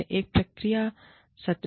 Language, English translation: Hindi, Have a feedback session